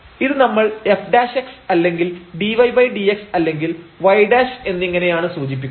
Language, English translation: Malayalam, And, we have denoted this by f prime x or dy dx or y prime